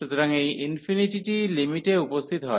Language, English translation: Bengali, So, this infinity appears in the limit